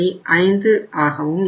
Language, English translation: Tamil, Then it is 506